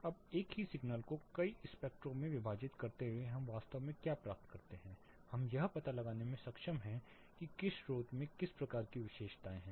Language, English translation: Hindi, Now while splitting the single signal in to multiple spectrums what we actually obtain, we are able to find out which source has what type of characteristics